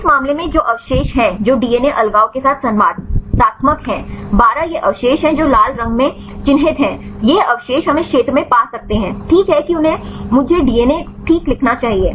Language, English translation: Hindi, In this case what are the residues which are interactive with DNA isolation 12 these are the residues which are marked in red, these residues we can find in this region right they should write me the DNA fine